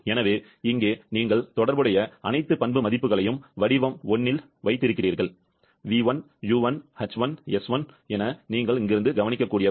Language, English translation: Tamil, So, here you have the all the related property values at state 1; v1, u1, h1, s1, all you can note from here